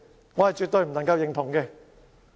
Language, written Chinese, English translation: Cantonese, 對此，我絕對不能夠認同。, As such I cannot really go along with that